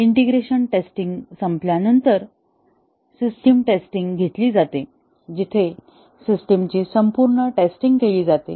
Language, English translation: Marathi, And, after the integration testing is over, the system testing is taken up, where the full system is tested as a whole